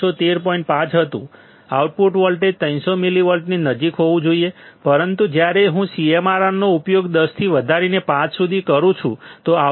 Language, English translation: Gujarati, 5; the output voltage should be close to 300 millivolts, but when I use CMRR equal to 10 raised to 5; the output was 300